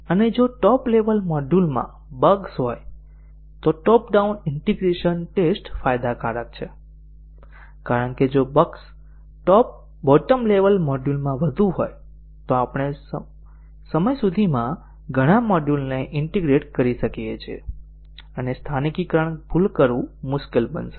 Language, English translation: Gujarati, And also top down integration testing is advantageous if the bugs are in the top level module, because if the bugs are more at the bottom level module, then we would have by the time integrated many modules together and it would be difficult to localize the error